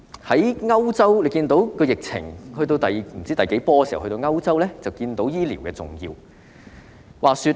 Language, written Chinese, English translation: Cantonese, 在歐洲疫情不知出現第幾波時，我們便看到醫療的重要性。, When the epidemic outbreak in Europe has come to the whatever wave we can see the importance of medical and health care services